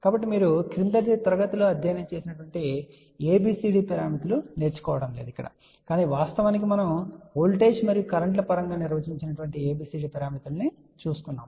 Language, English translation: Telugu, So, now we are not going to learn what you studied in your very low class which is ABCD, but we are actually going to look at the ABCD parameters which are defined in terms of voltages and currents